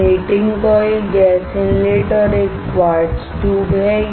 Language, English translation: Hindi, There are heating coils, gas inlet here and a quartz tube